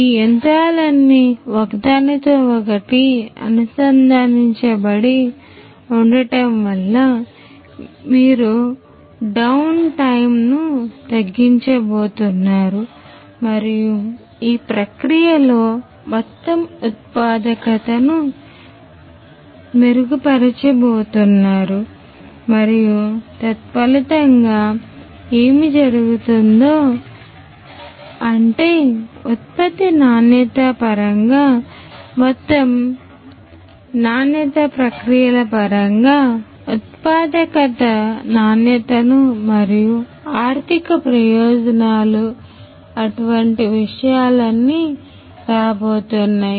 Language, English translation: Telugu, So, all of these machines if they are all interconnected that is going to be the advantage you are going to reduce the down time and you are going to improve the overall productivity in the process and also consequently what is going to happen is the quality overall quality in terms of the product quality in terms of the processes the efficiency the productivity and the economic benefits all of these things are going to come through